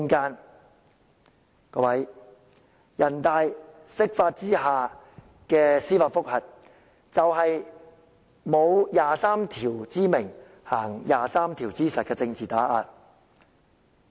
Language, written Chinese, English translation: Cantonese, 各位，人大常委會釋法下的司法覆核，便是沒有第二十三條之名，但行第二十三條之實的政治打壓。, Members the judicial review under the interpretation of the Basic Law by NPCSC is political suppression made not in the name of Article 23 but in its context